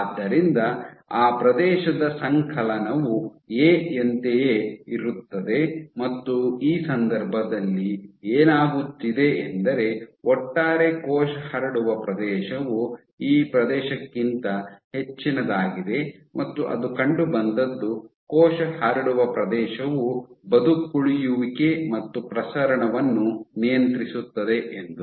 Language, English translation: Kannada, So, if a cell spreads like this this cell spreading area is much greater than this area and what it was found that it is the cell spreading area which regulates survival and proliferation